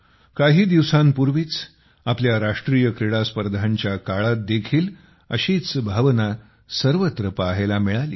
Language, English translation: Marathi, A few days ago, the same sentiment has been seen during our National Games as well